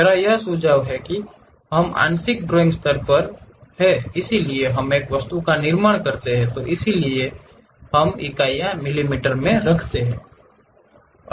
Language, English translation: Hindi, Why I am suggesting this is because we are at part drawing level we construct an object with so and so units may be mm for this